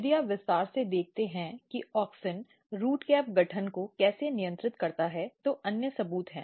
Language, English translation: Hindi, If you look more detail how auxin regulates root cap formation there are other evidence